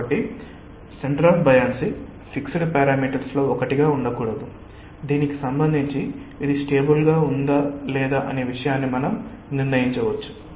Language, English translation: Telugu, so the centre of buoyancy cannot be one of the fixed parameters with respect to which we may decide whether it will be stable or not